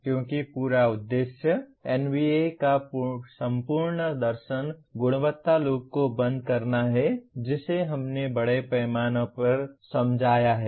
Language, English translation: Hindi, Because the whole purpose, the whole philosophy of NBA is to close the quality loop which we have explained extensively